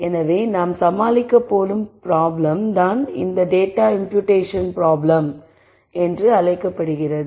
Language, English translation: Tamil, So, the problem that we are going to deal with is what is called the data imputation problem